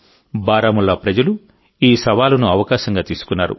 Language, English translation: Telugu, The people of Baramulla took this challenge as an opportunity